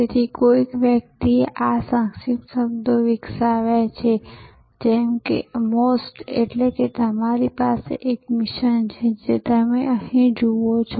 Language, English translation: Gujarati, So, somebody some people have developed these acronyms like MOST that is you have a mission as you see here